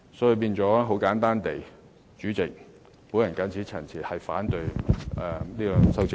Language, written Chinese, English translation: Cantonese, 主席，簡單而言，我謹此陳辭，反對這兩組修正案。, Chairman simply put with these remarks I oppose the two groups of amendments